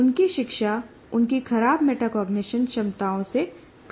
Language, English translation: Hindi, Their learning is influenced by their poor metacognition abilities